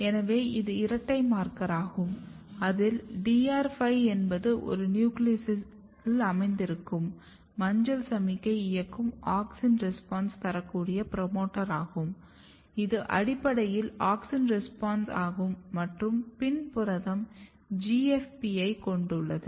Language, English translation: Tamil, So, this is a double marker here you have DR5 is auxin responsive promoter driving a nuclear localized yellow signal which is basically auxin response and PIN protein has a GFP